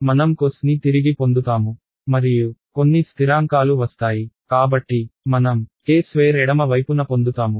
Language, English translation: Telugu, I will get back cos right and some constants will come so I will get a k squared on the left hand side